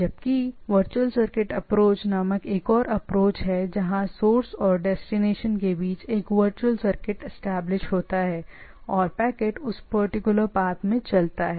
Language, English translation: Hindi, Whereas there is another approach called virtual circuit approach, where a virtual circuit is established between the source and destination and the packets moves in that particular path